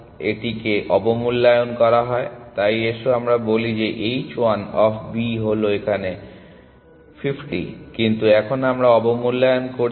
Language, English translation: Bengali, It underestimate, so let us say h 1 of B equal to it is actually 50, but now we are underestimating